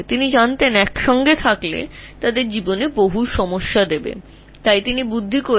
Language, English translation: Bengali, So together he knew that they can create a lot of chaos in life